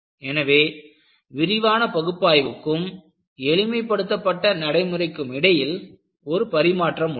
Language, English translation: Tamil, So, that, there is a tradeoff between detailed analysis and a simplified procedure